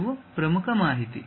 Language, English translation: Kannada, These are the most important information